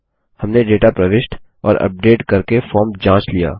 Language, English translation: Hindi, We have tested the form by entering and updating data